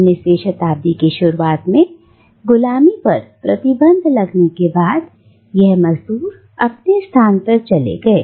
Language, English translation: Hindi, After slavery was banned, during the early 19th century, indentured labourers took their places